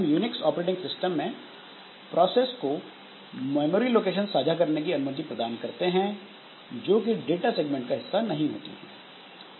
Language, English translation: Hindi, So, this is how this in case of Unix operating system we make the processes to share some memory location which are not part of their data segment